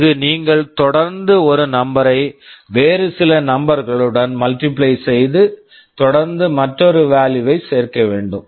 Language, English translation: Tamil, There you need to continuously multiply a number with some other number and add to another value continuously